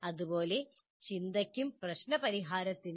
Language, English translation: Malayalam, Similarly for thinking, similarly for problem solving